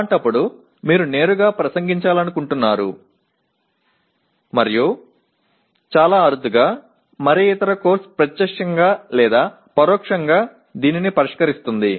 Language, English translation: Telugu, In that case you are directly addressing and very rarely any other course directly or indirectly addresses this